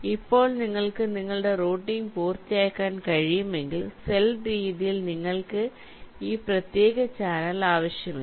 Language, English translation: Malayalam, now, if you can complete your routing means in this way, over the cell manner, then you do not need this separate channel at all